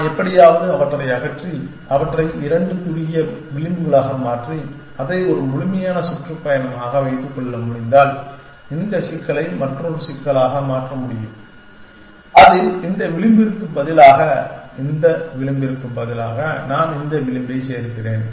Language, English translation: Tamil, If I could somehow remove them and replace them, into two shorter edges, keeping it as a complete tour, I can transform this problem in to another problem in which, instead of these edge and instead of this edge, I add this edge